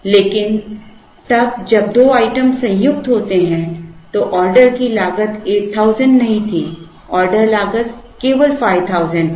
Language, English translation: Hindi, But, then when two items are combined, the order cost was not 8000 but the order cost was only 5000